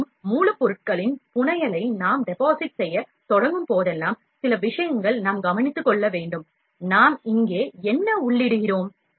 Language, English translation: Tamil, Also, whenever we start depositing fabrication of raw material, we have to take care of a few things like, what are we feeding here